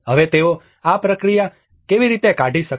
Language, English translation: Gujarati, Now, how do they able to figure out this process